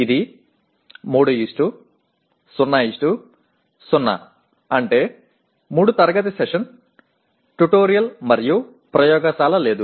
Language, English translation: Telugu, Or you may have 3 classroom sessions, 1 tutorial and no laboratory